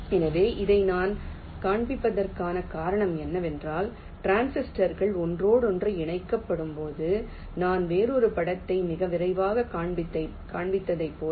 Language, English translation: Tamil, ok, so the reason i am showing this is that when the transistors are interconnected like i am showing another picture very quickly